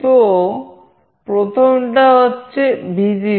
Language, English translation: Bengali, So, first one is Vcc